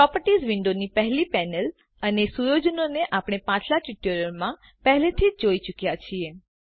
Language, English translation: Gujarati, We have already seen the first panel of the Properties window and the settings in the previous tutorial